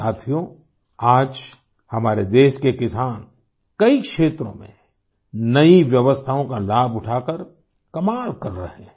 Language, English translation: Hindi, Friends, today the farmers of our country are doing wonders in many areas by taking advantage of the new arrangements